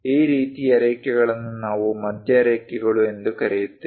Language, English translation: Kannada, This kind of lines we call center lines